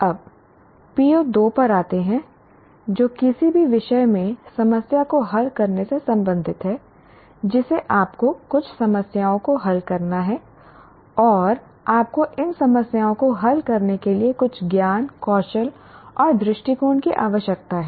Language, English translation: Hindi, Now come to PO2 which is related to problem solving, in any subject you have to solve some problems and you require some knowledge, skills and attitudes for solving these problems